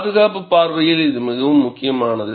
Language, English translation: Tamil, This is very important from safety point of view